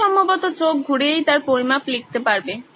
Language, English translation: Bengali, You can probably eyeball and write down his measurements